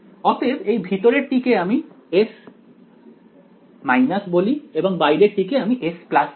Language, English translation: Bengali, So, the inside one I can call S minus and the outside one I can call S plus right